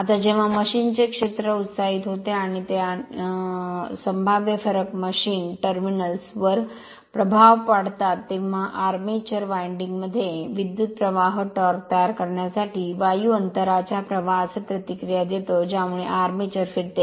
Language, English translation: Marathi, Now, when the field of a machine is excited and they and the potential difference is impressed upon the machine terminals, the current in the armature winding reacts with air gap flux to produce a torque which tends to cause the armature to revolve right